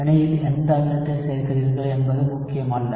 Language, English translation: Tamil, So, it does not matter what acid you are adding in the reaction